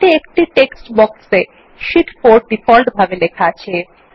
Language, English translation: Bengali, There is a textbox with Sheet 4 written in it, by default